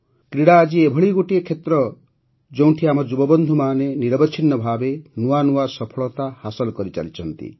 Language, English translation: Odia, Today, sports is one area where our youth are continuously achieving new successes